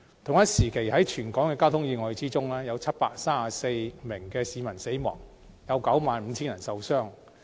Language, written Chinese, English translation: Cantonese, 同時，在全港交通意外中，有734名市民死亡，以及 95,000 人受傷。, During the same period 734 people were killed in traffic accidents in Hong Kong and 95 000 people were injured